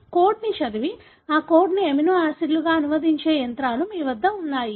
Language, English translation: Telugu, You have the machinery that reads the code and then translates that code into amino acids